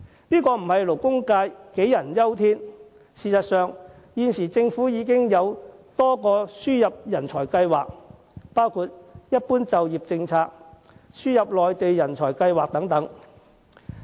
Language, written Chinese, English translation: Cantonese, 勞工界並不是杞人憂天。事實上，政府現時已設有多個輸入人才計劃，包括"一般就業政策"和"輸入內地人才計劃"等。, In reality there are already schemes of talent importation in different names including the General Employment Policy and the Admission Scheme for Mainland Talents and Professionals ASMTP